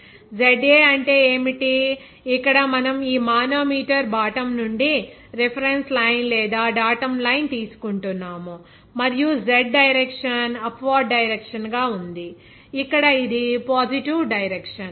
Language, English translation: Telugu, What is ZA, here we are taking the reference line or datum line from bottom of this manometer and the Z direction is upward direction, here this is positive direction